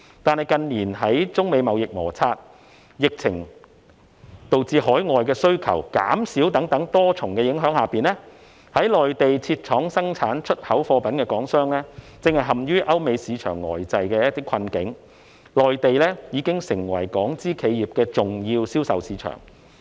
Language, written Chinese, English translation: Cantonese, 但是，近年受中美貿易摩擦，疫情導致海外需求減少等多重影響下，在內地設廠生產出口貨品的港商正陷於歐美市場呆滯的困境，內地已經成為港資企業的重要銷售市場。, But China - United States trade disputes in recent years the pandemic outbreak which led to a decrease in overseas demand etc have impacted Hong Kong enterprises which have set up factories in the Mainland for manufacturing goods for export in various ways . These Hong Kong - owned enterprises are in the predicament caused by the sluggish United States and European markets and the Mainland has become an important market for them